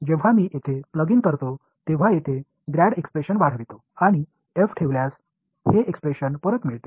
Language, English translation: Marathi, So, when I plug in over here grad this expression if I take over here and put f I get back this expression